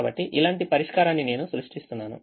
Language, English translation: Telugu, so i am just creating a solution like this